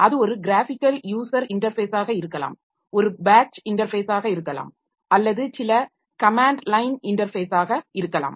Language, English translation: Tamil, So whatever it is by means of this user interfaces which may be a graphical user interface may be a batch interface or maybe some command line interface